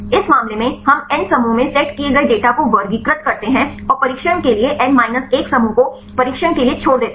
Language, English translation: Hindi, In this case, we classify the data set in the N groups and take the N minus 1 group as the training and the left out for the test